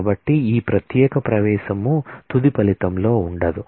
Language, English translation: Telugu, So, this particular entry will not go in the final result